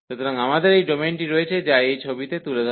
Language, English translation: Bengali, So, we have this domain, which is depicted in this figure